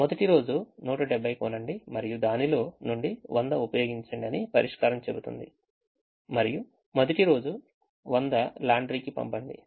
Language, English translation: Telugu, the solution says: by hundred and seventy, use hundred on the first day and send hundred to laundry on the first day